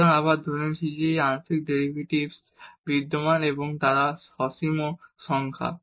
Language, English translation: Bengali, So, assuming again that these partial these derivatives exist and they are finite numbers